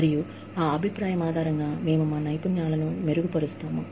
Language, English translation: Telugu, And, based on that feedback, we improve our skills